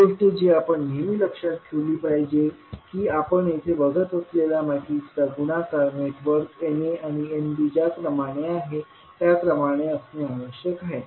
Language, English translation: Marathi, One thing which we have to always keep in mind that multiplication of matrices that is we are seeing here must be in the order in which networks N a and N b are cascaded